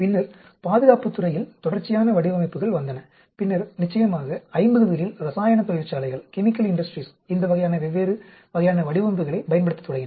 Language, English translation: Tamil, Then, came sequential designs in the area of defense and of course, by around 50s chemical industries started using these different types of designs